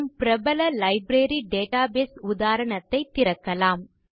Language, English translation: Tamil, We will open our familiar Library database example